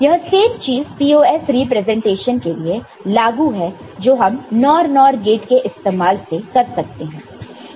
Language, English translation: Hindi, The same thing goes for POS representation using NOR NOR gates